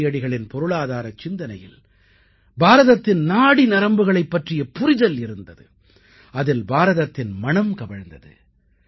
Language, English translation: Tamil, Gandhiji's economic vision understood the pulse of the country and had the fragrance of India in them